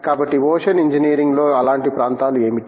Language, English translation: Telugu, So, in ocean engineering what would constitute such areas